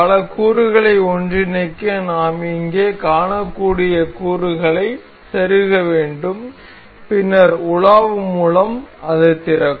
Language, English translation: Tamil, To assemble multiple components we have to insert the components we can see here, then going through browse it will open